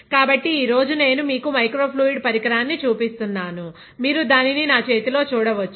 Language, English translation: Telugu, So, today I am showing you microfluidic device, you can see it in my hand